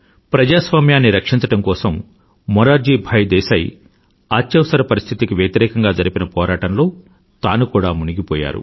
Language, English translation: Telugu, To save democracy, Morarji Desai flung himself in the movement against imposition of Emergency